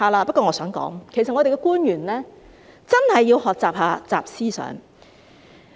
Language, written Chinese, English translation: Cantonese, 不過，我想說的是，我們的官員其實真的要學習"習思想"。, Nevertheless what I want to say is that our government officials should really learn XI Jinping Thought